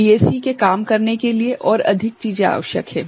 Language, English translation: Hindi, There are more things that are required for a DAC to work